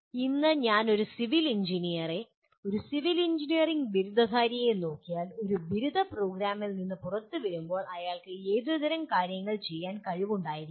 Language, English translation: Malayalam, Today if I look at a civil engineer, a civil engineering graduate coming out of a undergraduate program, what kind of things he should be capable of doing